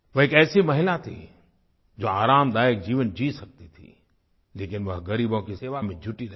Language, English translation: Hindi, She was a woman who could live a luxurious life but she dedicatedly worked for the poor